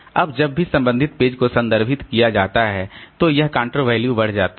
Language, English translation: Hindi, Now whenever the corresponding page is referred to, so this count value is incremented